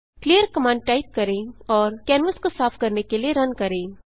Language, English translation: Hindi, Type clear command and Run to clean the canvas